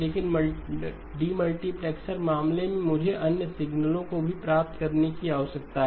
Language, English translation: Hindi, But in a demultiplexer case, I need to get the other signals as well